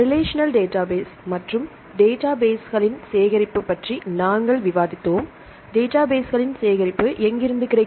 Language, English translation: Tamil, Then we discussed relational databases and the collection of databases, where shall we get the collection of databases